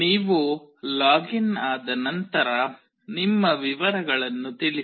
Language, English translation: Kannada, Once you login, put up your details